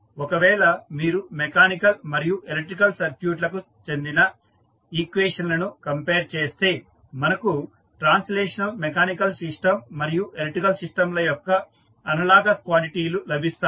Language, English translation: Telugu, Now, let us compare both of them, so, if you compare the equations related to mechanical and the electrical circuit, we will get the analogous quantities of the translational mechanical system and electrical system